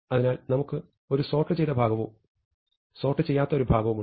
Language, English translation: Malayalam, So, we have a sorted portion, and an unsorted portion